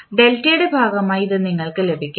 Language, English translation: Malayalam, So, this is what you will get as part of your delta